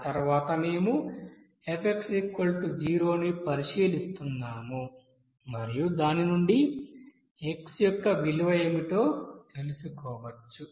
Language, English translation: Telugu, And after that we are considering that f will be equals to 0 and then from which we can find out what should be the value of x